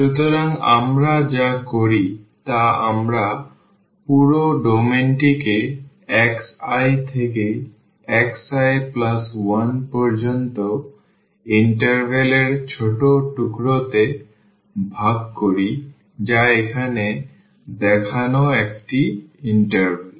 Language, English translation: Bengali, And so, what we do we divide the whole domain from a to b into small pieces of intervals from x i to x i plus 1 that is the one interval shown here